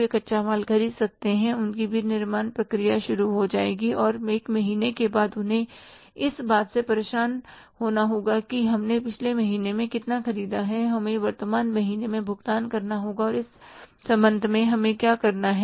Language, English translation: Hindi, They can buy the raw material, their manufacturing process will start and after one month they have to bother about that how much we purchased in the previous month we have to pay in the current month